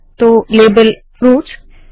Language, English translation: Hindi, So label fruits